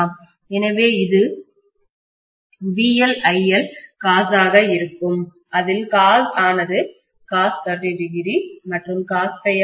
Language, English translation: Tamil, So this is going to be VL IL cos, cos is actually going to be cos of 30 and cos of phi